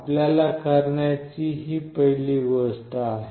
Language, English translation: Marathi, This is the first thing you need to do